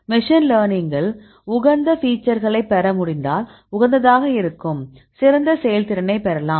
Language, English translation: Tamil, Then machine learning will optimize could the get the optimal features so that you can get the best performance